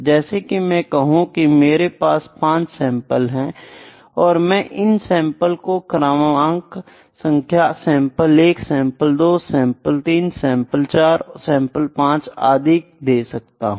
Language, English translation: Hindi, Like I say I have five samples, I just number this sample number 1 sample, number 2, number 3, number 4, number 5